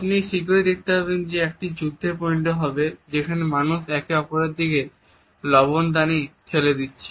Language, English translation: Bengali, You would find it soon it would be a tug of war people pushing the salt and shakers towards each other site